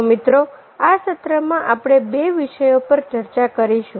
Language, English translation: Gujarati, so, friends, ah, in this section we will be discussing about two topics